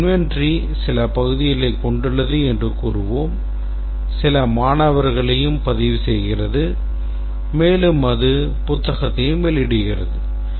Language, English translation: Tamil, It says that, okay, it does some part of the inventory, does some registering student, it also does issue book, etc